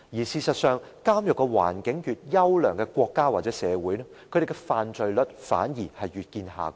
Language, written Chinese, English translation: Cantonese, 事實上，監獄環境越優良的國家或社會，它們的犯罪率反而越見下降。, Actually crime rates in countries or societies providing a better prison environment are lower instead